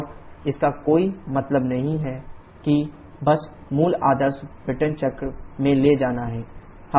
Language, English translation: Hindi, And there is no point going for that just taking to the basic ideal Brayton cycle